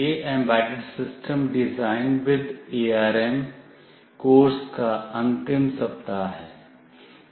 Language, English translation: Hindi, This is the final week for the course Embedded System Design with ARM